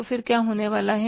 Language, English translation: Hindi, Then what is going to happen